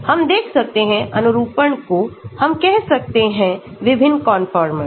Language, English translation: Hindi, we can look at conformations, different conformers we can say